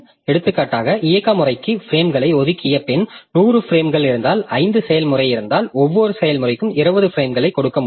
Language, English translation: Tamil, For example, if there are say 100 frames after allocating the frames to the operating system, if we are left with 100 frames and there are five processes, then for each process I can give 20 frames